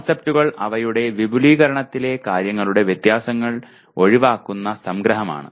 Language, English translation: Malayalam, Concepts are abstracts in that they omit the differences of the things in their extension